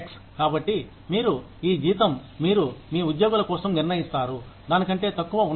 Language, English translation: Telugu, So, you are, the salary, you determine for your employees, cannot be less than that